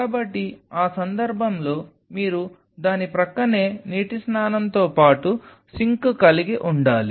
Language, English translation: Telugu, So, in that case you needed to have a sink along with a water bath adjacent to it